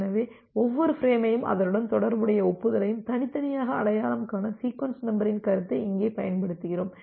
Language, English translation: Tamil, So, here we use the concept of sequence numbers to individually identify each frame and the corresponding acknowledgement